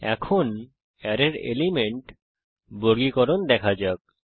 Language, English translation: Bengali, Now let us look at sorting the elements of the array